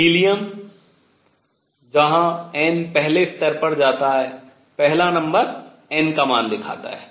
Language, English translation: Hindi, Helium, where n first level goes the first number shows n value